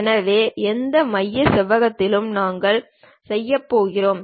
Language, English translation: Tamil, So, we are done with that center rectangle also